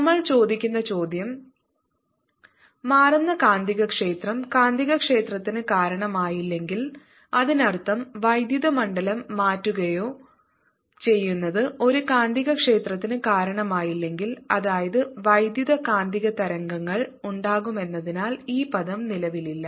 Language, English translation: Malayalam, the question we are asking is: if a changing magnetic field did not give rise to magnetic field, that means if or changing electric field did not give rise to a magnetic field, that means this term did not exists, would electromagnetic waves be there